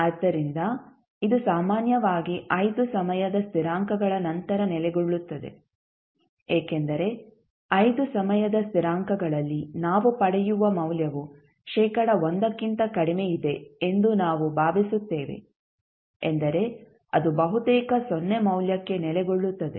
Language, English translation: Kannada, So, this will settle down after generally it settles down after 5 time constants because we assume that at 5 time constants the value what we get is less than 1 percent means it is almost settling to a 0 value